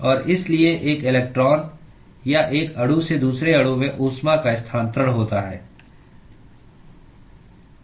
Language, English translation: Hindi, And so there is transfer of heat from one electron or one molecule to the other molecule